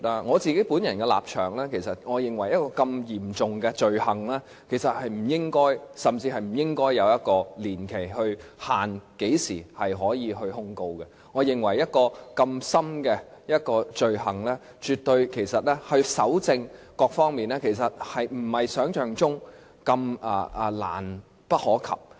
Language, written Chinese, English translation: Cantonese, 我本人的立場是，我認為這如此嚴重的罪行甚至不應該對何時可以提出控告的年期設立任何限制，我也認為就這罪行來說，搜證並非如想象般困難。, My personal position is that I think regarding such a serious offence there should not be any limitation at all on the time or period for prosecution to be instituted . I think insofar as this offence is concerned evidence collection may not be as difficult as it is conceived